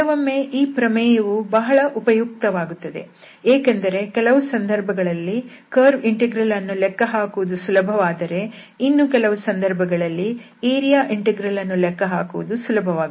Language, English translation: Kannada, Sometimes this theorem is very useful, because very often we will observe now that this curve integral is easier for some problems whereas, the area integral is easier for the other problems